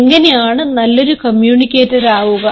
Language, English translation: Malayalam, how can you become a better communicator